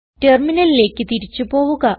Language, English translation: Malayalam, Let us go back to the Terminal